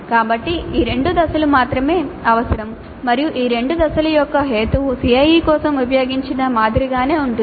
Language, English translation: Telugu, So these two steps only are required and the rational for these two steps is the same as the one used for CIE